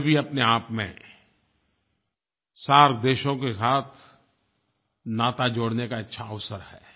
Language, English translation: Hindi, This also is a good opportunity to make relations with the SAARC countries